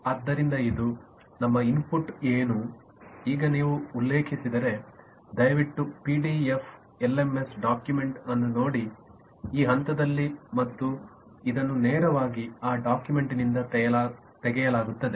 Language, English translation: Kannada, this is, if you refer please refer to the pdf lms document at this stage and you will find this is directly lifted from that document